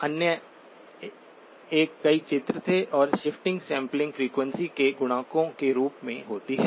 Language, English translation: Hindi, The other one was multiple images and the shifts happen as multiples of the sampling frequency